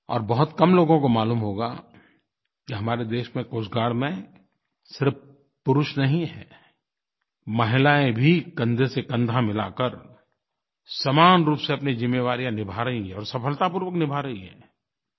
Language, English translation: Hindi, Not many people would be aware that in our Coast Guard, not just men, but women too are discharging their duties and responsibilities shoulder to shoulder, and most successfully